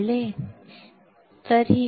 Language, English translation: Marathi, You got it